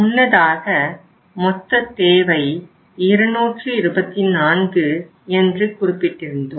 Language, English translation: Tamil, So earlier when we had say 224 is the total requirement